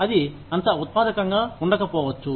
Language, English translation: Telugu, That may not be, as productive